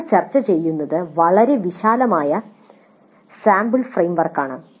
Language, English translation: Malayalam, So what we are discussing is a very broad sample framework